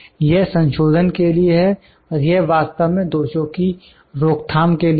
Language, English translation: Hindi, It is for correction and this is for actually prevention of the defect